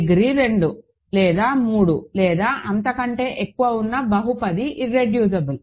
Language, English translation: Telugu, There cannot be a polynomial of degree 2 or 3 or higher which is irreducible